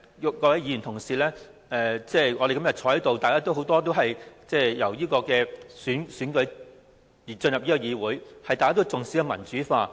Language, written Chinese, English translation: Cantonese, 今天在席的議員當中，很多議員是經過直接選舉進入議會，都重視民主化。, Among the Members present today many of them have been directly elected to the Legislative Council and they attach importance to democratization